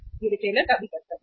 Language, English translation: Hindi, It is the duty of the retailer also